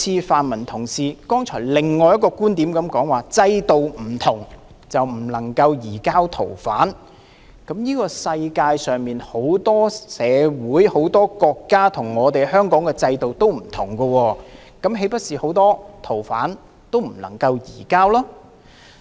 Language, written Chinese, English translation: Cantonese, 泛民同事剛才提出的另一觀點就是，制度不同便不能夠移交逃犯，但世界上很多社會、很多國家跟香港的制度不同，那麼，豈不是很多逃犯都不能夠移交？, Another point raised by a pan - democratic Member is that since our systems are different arrangement cannot be made for us to surrender fugitive offenders . Nevertheless the systems in many societies and countries in the world are different from those of Hong Kong can we not surrender fugitive offenders then?